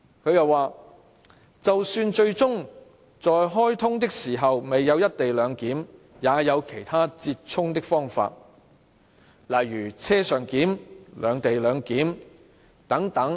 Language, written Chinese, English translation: Cantonese, "她又說："就算最終在開通的時候未有'一地兩檢'也有其他折衷的方法，例如'車上檢'、'兩地兩檢'等。, And she also stated Even if the co - location arrangement is not available at the commissioning of the XRL there are other midway solutions such as on - board clearance separate - location clearance and so on